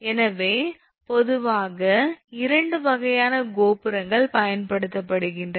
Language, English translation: Tamil, So, generally two types of towers are used